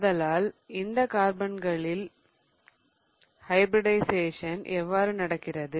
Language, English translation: Tamil, So, how does the hybridization of carbon in these compounds look like